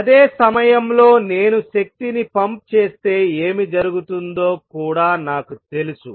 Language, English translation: Telugu, At the same time I also know what happens if I pump in energy right